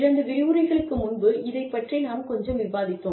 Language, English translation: Tamil, We discussed about this, a little bit in, couple of lectures ago